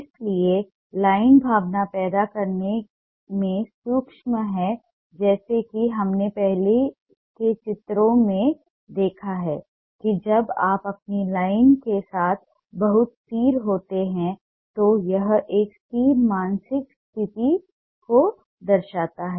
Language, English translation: Hindi, so line is ah capable of producing emotion, as we have seen in the earlier drawings, that when you are going very steady with your line, it shows a steady and mental state